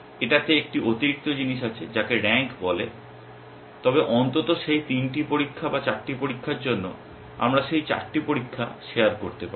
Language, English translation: Bengali, It has a additional thing called rank, but at least for those 3 tests or 4 tests, we can share those 4 tests